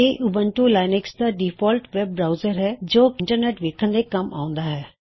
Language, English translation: Punjabi, It is the default web browser for Ubuntu Linux, serving as a window to the Internet